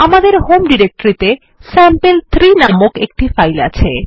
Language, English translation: Bengali, We have a file named sample3 in our home directory